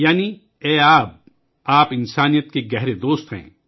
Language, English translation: Urdu, Meaning O water, you are the best friend of humanity